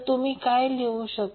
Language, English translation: Marathi, What you can write